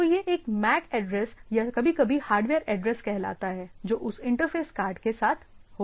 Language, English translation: Hindi, So, it is having MAC address or sometimes call hardware address which is with that interface card right